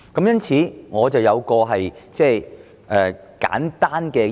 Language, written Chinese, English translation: Cantonese, 因此，我有一項簡單建議。, Hence I have this simple recommendation